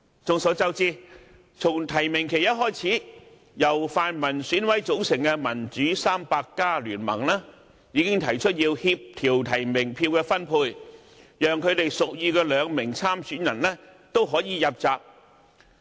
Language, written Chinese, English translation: Cantonese, 眾所周知，從提名期一開始，由泛民選舉委員會委員組成的"民主 300+" 聯盟已經提出要協調提名票的分配，讓他們屬意的兩名候選人都可以入閘。, As we all know once the nomination period started the Democrats 300―a coalition formed by the EC members belonging to the pan - democratic camp―has already proposed to coordinate the allocation of nominations so that both candidates of their choice could enter the race to stand for election